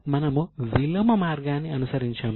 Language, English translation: Telugu, We have followed a reverse path